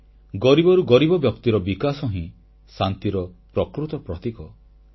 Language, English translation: Odia, Development of the poorest of the poor is the real indicator of peace